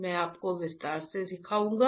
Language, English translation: Hindi, I will teach you in detail